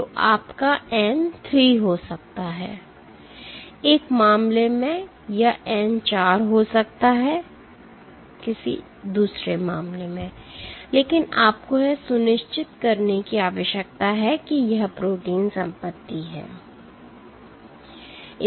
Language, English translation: Hindi, So, your n might be 3 in one case or n might be 4 in one case, but you need to make sure that this protein is holding property